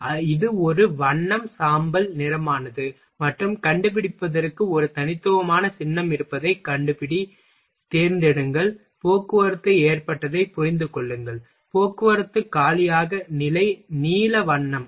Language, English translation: Tamil, So, it is a colour is grey and find there is a unique symbol for find, select, grasp hold transport loaded, transport empty, position, blue colour